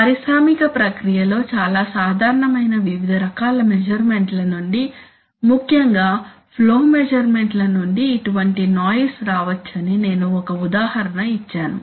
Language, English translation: Telugu, And as I have given an example that such noise may come from various kinds of measurements especially flow measurements which are very common in an industrial process